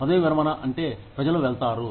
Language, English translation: Telugu, Retirement is, yes, people go